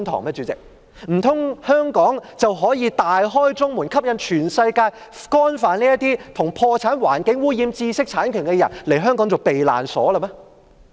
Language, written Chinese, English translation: Cantonese, 代理主席，難道香港可以大開中門，吸引全世界干犯與破產、環境污染或知識產權有關的罪行的人把香港當作避難所嗎？, Deputy President should Hong Kong leave the gate wide open and attract people worldwide who have committed offences relating to bankruptcy environmental pollution or intellectual property to regard Hong Kong as a haven?